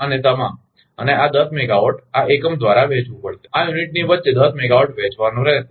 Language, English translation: Gujarati, And all the, and this ten megawatt, this has to be shared by this unit, among this unit the ten megawatt has to be shared